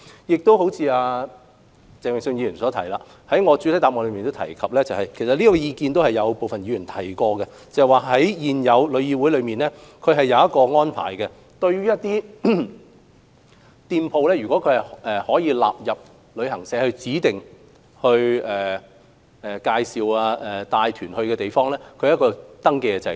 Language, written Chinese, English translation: Cantonese, 關於鄭泳舜議員的意見，我在主體答覆中亦有提及，而部分議員也曾提出這意見，也就是對於一些店鋪如納入為旅行社指定到訪的地方，現時旅議會設立了一個登記制度。, Regarding the views expressed by Mr Vincent CHENG I have mentioned in my main reply―and several Members have pointed out―that TIC has established a registration system for shops being selected by travel agents for designated visits